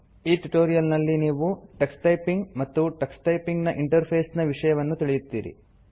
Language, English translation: Kannada, In this tutorial you will learn about Tux Typing and Tux typing interface